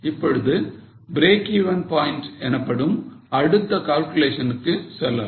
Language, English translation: Tamil, Now let us go to the next calculation that is break even point